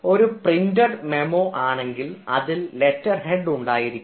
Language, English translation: Malayalam, a memo, if it is a printed memo, you will find ah that it will have a letterhead